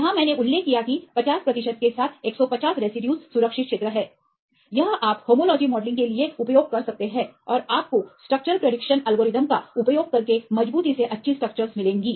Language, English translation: Hindi, Here I mentioned that 150 residues with the 50 percent is safe zone, this you can use for homology modelling and you will get reliably good structures right using the structure prediction algorithms